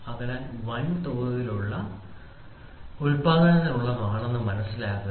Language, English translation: Malayalam, So, please understand this is for mass production